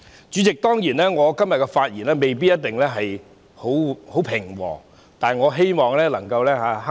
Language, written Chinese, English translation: Cantonese, 主席，我今天的發言未必一定很平和，但我希望能夠克制。, President my speech today may not necessarily be very calm but I hope I will be able to restrain myself